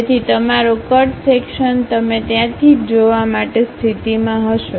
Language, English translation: Gujarati, So, your cut section you will be in a position to see only from there